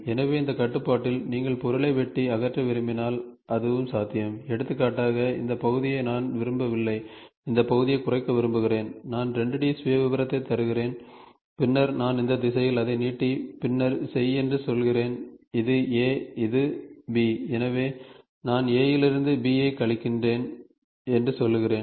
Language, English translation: Tamil, So, in this constraint also if you want to cut and remove material so, that is also possible, for example, I do not want this portion, I want this portion to be cut down, I give the 2 D profile and then I say along this direction stretch it and then do, this is A this is B so, then I say a subtract B from A